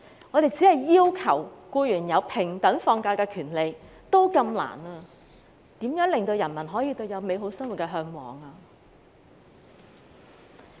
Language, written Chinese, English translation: Cantonese, 我們連要求僱員有平等放假的權利都這麼困難，如何令人民可以嚮往美好的生活？, How can we ensure that people can aspire to a better life when it is so difficult to fight for equal rights of employees to the entitlement of holidays?